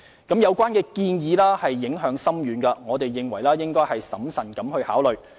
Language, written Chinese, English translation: Cantonese, 相關建議影響深遠，我們認為應審慎考慮。, Given its far - reaching impacts the relevant proposal warrants prudent consideration